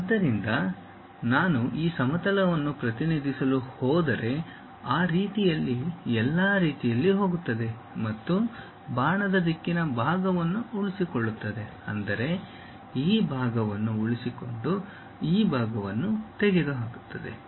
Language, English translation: Kannada, So, if I am going to represent this plane really goes all the way in that way and retain the arrow direction part; that means, retain this part, remove this part